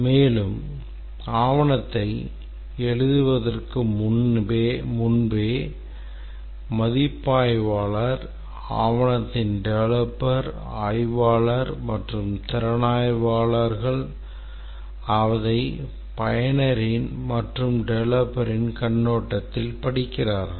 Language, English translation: Tamil, And also before completing writing the document, the reviewer, the developer of the document, the analyst and also the reviewers should read it from the perspective of the user and also from the perspective of the developer